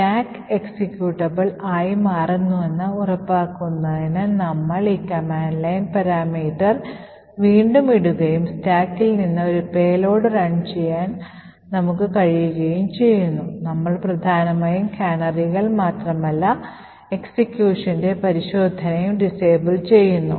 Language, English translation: Malayalam, So let us get this back and we will put this command line parameter again to ensure that the stack becomes executable and we are able to run a payload from the stack and therefore we are essentially disabling not just the canaries but also disabling the check for execution from the stack